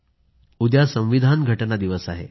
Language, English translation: Marathi, Yes, tomorrow is the Constitution Day